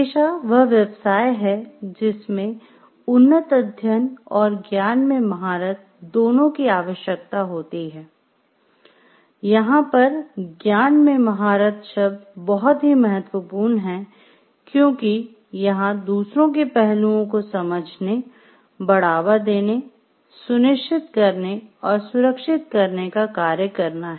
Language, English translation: Hindi, So, professions are those occupations that require both advanced study and mastery of a specialized body of knowledge, this word specialized body of knowledge is important over here and, to undertake to promote ensure, or safeguard some aspect of others well being